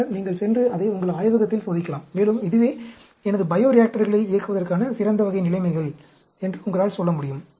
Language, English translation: Tamil, And then, you can go and test it out in your lab, and you can say, this is the best type of conditions at which I should operate my bio reactor